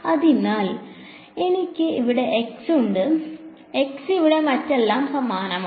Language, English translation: Malayalam, So, I have x over here x over here everything else is same